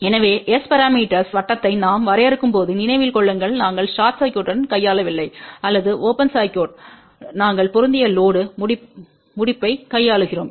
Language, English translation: Tamil, So, please remember when we define S parameter we are not dealing with short circuit or open circuit we are more dealing with the match load termination